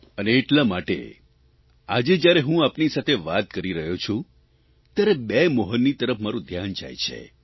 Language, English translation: Gujarati, And that's why today, as I converse with you, my attention is drawn towards two Mohans